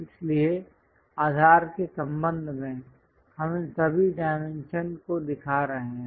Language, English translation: Hindi, So, with respect to base, we are showing all these dimensions